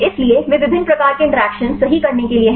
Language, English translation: Hindi, So, they are like to perform different types of interactions right